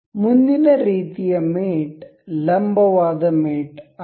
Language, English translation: Kannada, The next kind of mate is perpendicular mate